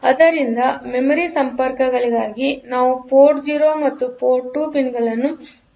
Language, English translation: Kannada, So, for memory connections; we have to use port 0 and port 2 pins